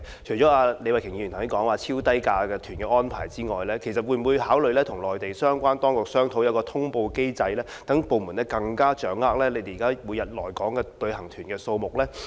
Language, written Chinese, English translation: Cantonese, 除了李慧琼議員剛才所說有關超低價旅行團的安排外，政府會否考慮與內地相關當局商討設立一個通報機制，讓部門更能掌握現時每日來港的旅行團數目呢？, Apart from the arrangement proposed by Ms Starry LEE regarding extremely low - fare tour groups will the Government consider discussing with relevant Mainland authorities in order to establish a notification mechanism under which the Government will be better informed of the number of Mainland tour groups coming to Hong Kong every day?